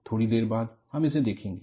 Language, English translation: Hindi, We will look at it, a little while later